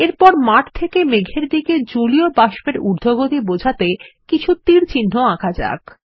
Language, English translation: Bengali, Next, let us draw some arrows to show the movement of water vapour from the ground to the cloud